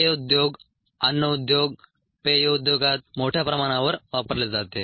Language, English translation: Marathi, this is also used heavily in the industry, in the food industry industry